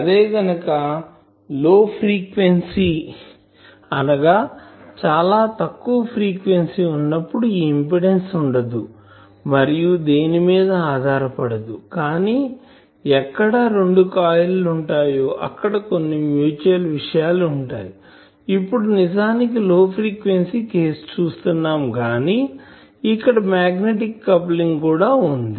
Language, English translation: Telugu, The thing is in the in the low frequency, or in the circuit theories generally we do not have this impedance of certain thing is not dependent on someone else, but you have seen when we have two coils, then they are nearby so there are mutual things, now actually there are though that is a low frequency case but there is a magnetic coupling